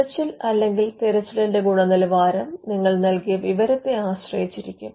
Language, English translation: Malayalam, Now the search or the quality of the search will depend on the information that you have supplied